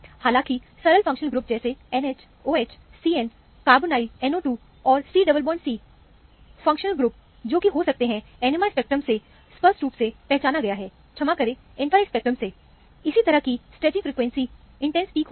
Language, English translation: Hindi, However, simple functional groups like a NH, OH, CN, carbonyl, NO 2 and C double bond C are unmistakable functional group, which can be unambiguously identified from the NMR spectra, sorry, from the infrared spectrum; corresponding stretching frequency will be intense peaks